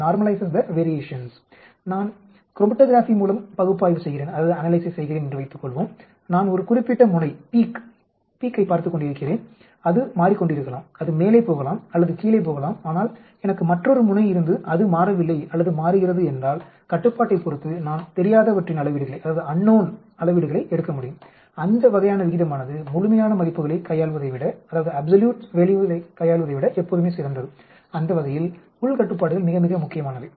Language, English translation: Tamil, Suppose I am doing analysis with chromatography, I am looking at a particular peak it may be changing either it is going up or it is going down but then if I have another peak which does not change or which also changes then I can take the measurements of the unknown with respect to the control that sort of ratio is always better than dealing with absolute values, that way internal controls are very, very important